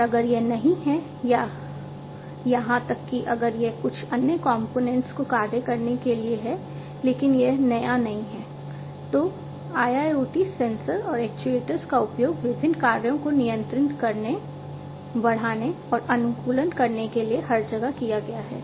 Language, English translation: Hindi, And if it is not or even if it is to actuate certain other components and that has been there it is not new, then in IIoT sensors and actuators have been also used everywhere to control, enhance, and optimize various functions